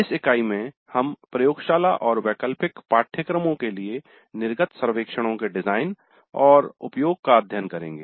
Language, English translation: Hindi, So in this unit we look at the design and use of exit surveys for laboratory and electric courses